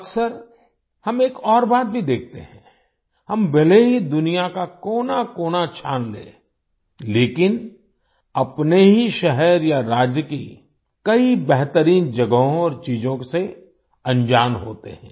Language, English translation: Hindi, Often we also see one more thing…despite having searched every corner of the world, we are unaware of many best places and things in our own city or state